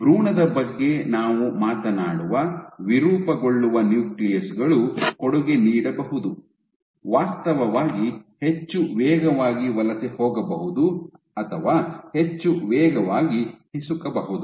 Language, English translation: Kannada, So, for in an embryo we talk about an embryo, deformable nuclei could contribute, could actually migrate much faster or squeeze through much faster